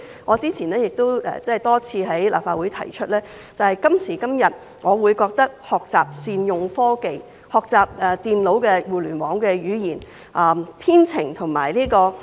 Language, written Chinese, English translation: Cantonese, 我之前多次在立法會提出，我覺得今時今日的必修科應該學習善用科技，學習電腦互聯網的語言、編程及人工智能。, Previously I have expressed my view multiple times in this Council that todays compulsory subjects should be about how to make the best use of technology such as learning computer languages for the Internet coding and AI